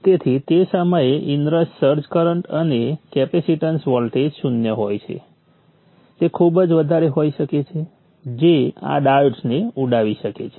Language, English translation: Gujarati, So the search current, the inner charge current at the time when the capacitance voltage is zero can be pretty large which may which can blow up these diodes